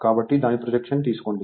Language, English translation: Telugu, So, take its projection right